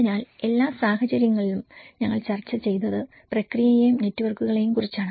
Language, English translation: Malayalam, So in all the cases, what we did discussed is about the process and the networks